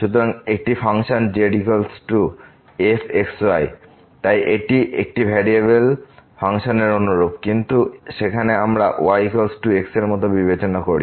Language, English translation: Bengali, So, a function is equal to so its a similar to what we have the function of one variable, but there we consider like y is equal to function of x